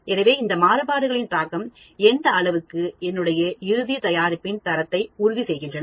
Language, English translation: Tamil, So, you will know the extent of the effect of these variations on my final product quality